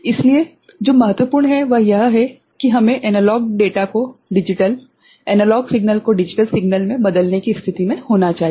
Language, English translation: Hindi, So, what is important is that, we should be in a position to convert analog data to digital ok, analog signal to digital signal